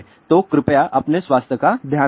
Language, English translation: Hindi, So, please take care of your health